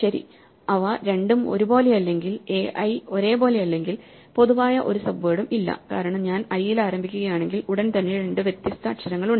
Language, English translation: Malayalam, Well, if they two or not the same if a i is not the same the same there is no common subword at all because if I start from i immediately have two different letters